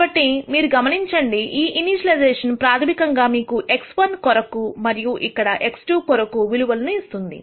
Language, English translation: Telugu, So, you would notice that this initialization basically says here is your value for x 1 and here is a value for x 2